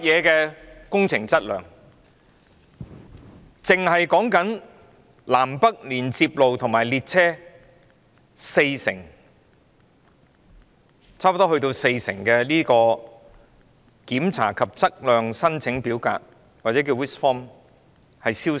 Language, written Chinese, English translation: Cantonese, 單是南、北連接隧道和列車停放處已有四成檢查及測量申請表格消失。, For the North Approach Tunnel South Approach Tunnel and stabling sidings of Hung Hom Station 40 % of the Request for Inspection and Survey Checks RISC forms have been found missing